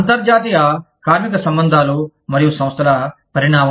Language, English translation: Telugu, Evolution of international labor relations and organizations